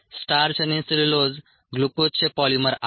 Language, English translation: Marathi, starch and cellulose happen to be polymers of glucose